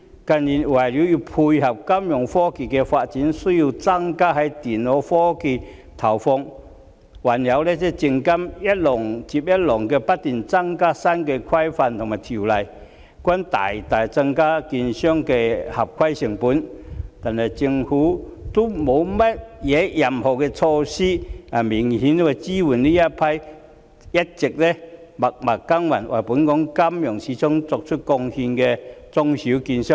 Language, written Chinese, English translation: Cantonese, 近年為配合金融科技發展，需要增加在電腦科技的資源投放，還有證券及期貨事務監察委員會一浪接一浪、不斷增加的新規管和條例，均大大增加券商的合規成本，但政府卻沒有任何措施能明顯支援這批一直默默耕耘，為本港金融市場作出貢獻的中小券商。, In recent years to cope with the development of financial technology they also need to plough in additional resources for computer technology . Coupled with increasingly more new regulations and laws introduced one after another by the Securities and Futures Commission the cost of compliance of securities dealers has increased substantially . Yet the Government has introduced no measure to clearly support these small and medium securities dealers which have all along been working silently to make contribution to the financial market in Hong Kong